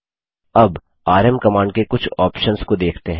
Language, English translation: Hindi, Now let us look into some of the options of the rm command